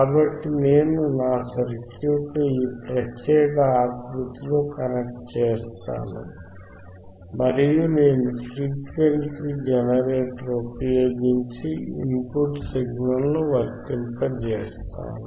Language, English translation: Telugu, So, I will connect my circuit in this particular format and I will apply the signal at the input using the frequency generator